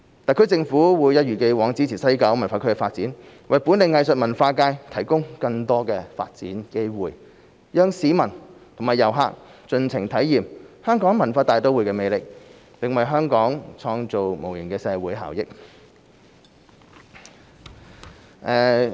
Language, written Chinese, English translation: Cantonese, 特區政府會一如既往支持西九文化區的發展，為本地藝術文化界提供更多發展機會，讓市民和遊客盡情體驗香港文化大都會的魅力，並為香港創造無形的社會效益。, The SAR Government will as always support the development of WKCD and provide more development opportunities for the local arts and culture communities so that members of the public and tourists can fully experience the charm of Hong Kong as a cultural metropolis and bring intangible social benefits to Hong Kong